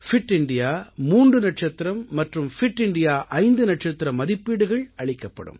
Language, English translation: Tamil, Fit India three star and Fit India five star ratings will also be given